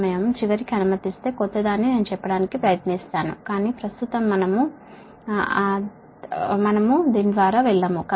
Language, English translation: Telugu, if time permits at the aim, then something new i will try to tell, but right now we will not go through that, right